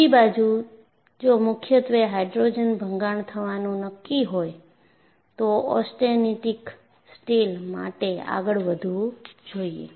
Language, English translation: Gujarati, On the other hand, if you are going to have predominantly hydrogen embrittlement, go for austenitic steels